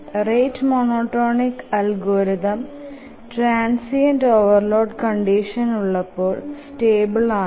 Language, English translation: Malayalam, The rate monotonic algorithm is stable under transient overload conditions